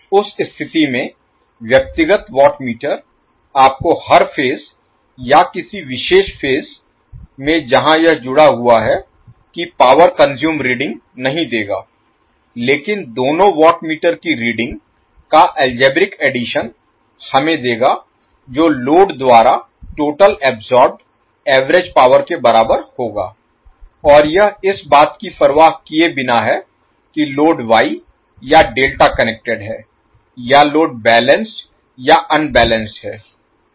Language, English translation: Hindi, So in that case the individual watt meters will not give you the reading of power consumed per phase or in a particular phase where it is connected, but the algebraic sum of two watt meters will give us the reading which will be equal to total average power absorbed by the load and this is regardless of whether the load is wye or Delta connected or whether it is balanced or unbalanced